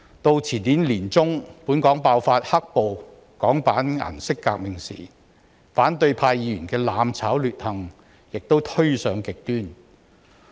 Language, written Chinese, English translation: Cantonese, 到前年年中本港爆發稱為"黑暴"的香港版顏色革命時，反對派議員的"攬炒"劣行亦推上極端。, By the time the Hong Kong version of the colour revolution broke out in the middle of 2019 their acts intended for mutual destruction turned extremely despicable